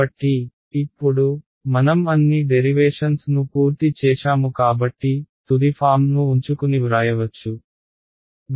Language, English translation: Telugu, So, now, let us sort of take all the now that we have done all the derivations so, we can just write keep the final form